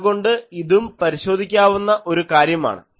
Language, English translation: Malayalam, So, this is also one testing thing